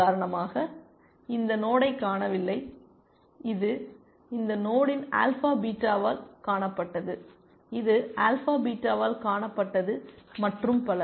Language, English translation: Tamil, It is not seen this node for example, which was seen by alpha beta of this node, which was seen by alpha beta and so on essentially